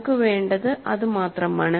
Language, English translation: Malayalam, All we want is that